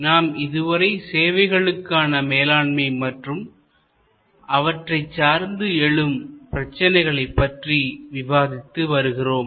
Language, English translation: Tamil, We have been discussing about Managing Services and the contemporary issues